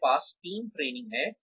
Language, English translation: Hindi, We have team training